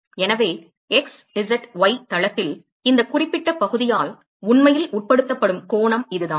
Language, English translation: Tamil, So, this is the angle that is actually subtended by this particular area on the x, z, y plane